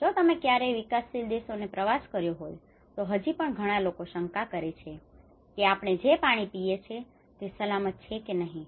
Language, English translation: Gujarati, Like if you ever travelled in the developing countries many people even still doubt whether the water we are drinking is safe or not